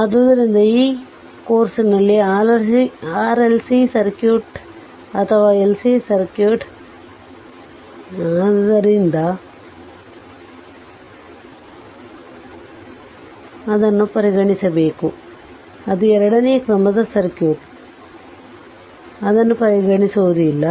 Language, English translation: Kannada, So, in this course we will not consider RLC circuit or LC circuit; that is second order circuit we will not consider